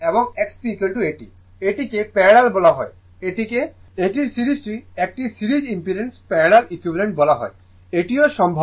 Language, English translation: Bengali, This is called your parallel, this is called your what you call that your series parallel equivalent of a series impedance, this is also possible right